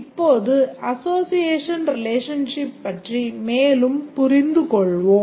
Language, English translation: Tamil, Now let's proceed further understanding the association relationship